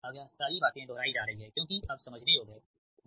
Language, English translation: Hindi, now all this thing are repeating because understandable